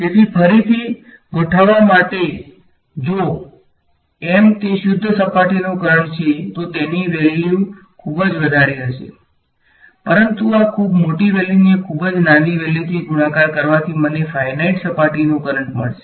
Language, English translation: Gujarati, So, to sort of state that again this; M hat if it is a pure surface current is going to be very very large, but this very large quantity multiplied by a vanishingly small quantity is what is going to give me a finite surface current